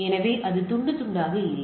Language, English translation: Tamil, So, it is not fragmented